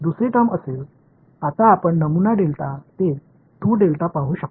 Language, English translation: Marathi, Second term will be now you can see the pattern delta to 2 delta